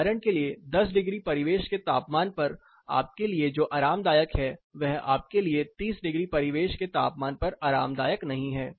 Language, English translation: Hindi, For example, what is comfortable to you at 10 degree ambient temperature is not comfortable to you at 30 degrees ambient temperature